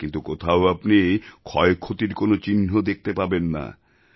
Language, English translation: Bengali, But, you did not find any damage anywhere